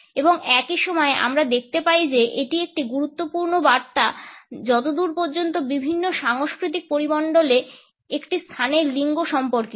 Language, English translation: Bengali, And at the same time we find that it is an important message as far as the gendering of a space in different cultural milieus is concerned